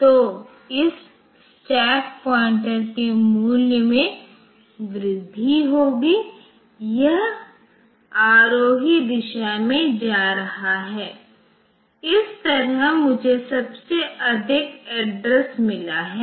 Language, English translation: Hindi, So, this is, this is this is the stack pointer value will be incremented it is going the ascending direction this side I have got highest address this side I have got lowest address